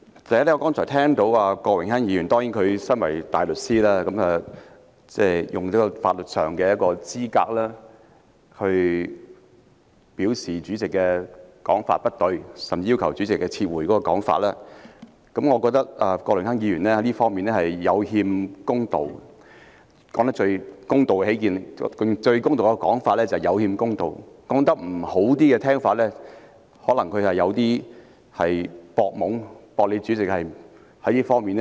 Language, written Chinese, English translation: Cantonese, 首先，我剛才聽到身為大律師的郭榮鏗議員，以法律資格指出主席的說法不對，甚至要求主席撤回言論，我認為郭榮鏗議員在這方面有欠公道——最公道的說法是"有欠公道"，稍為不中聽的說法，則是他在"博懵"，"博"主席不及他熟悉這方面的知識。, First I heard Mr Dennis KWOK a barrister use his legal credentials just now to accuse the President of making incorrect comments even demanding the latter to withdraw them . I find it a bit unfair for Mr Dennis KWOK to do this . It is a bit unfair to be put in the fairest sense and put bluntly taking advantage of the underinformed the underinformed being the President who presumably is not as familiar with the subject as he does